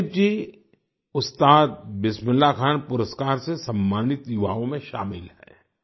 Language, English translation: Hindi, Joydeep ji is among the youth honored with the Ustad Bismillah Khan Award